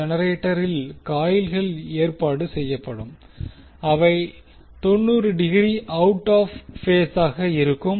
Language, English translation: Tamil, So, the coils which will be arranged in the generator will be 90 degrees out of phase